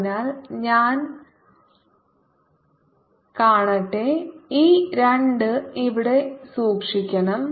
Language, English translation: Malayalam, so let me thing we should keep this two here